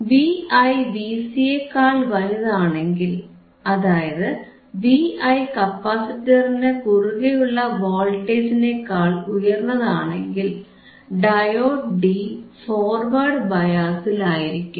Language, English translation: Malayalam, If V i is greater sorry if V i is greater than V c, if V i this signal is greater than the voltage across capacitor, diode D is in forward bias a, agreed